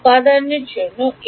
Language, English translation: Bengali, For element a